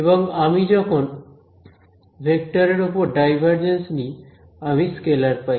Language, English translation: Bengali, And when I take a divergence of a vector I get a scalar